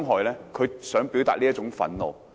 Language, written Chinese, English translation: Cantonese, 他只是想表達這種憤怒。, He simply wanted to express this kind of anger